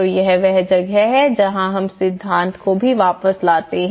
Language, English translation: Hindi, So that is where we bring back the theory also